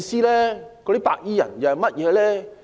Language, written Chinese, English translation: Cantonese, 那些白衣人是甚麼人？, Who are those white - clad people?